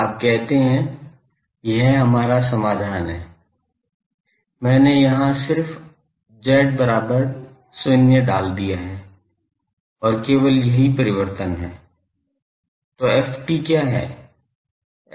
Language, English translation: Hindi, You say, this was our solution, I have just put z is equal to 0 and only the change is; so, what is ft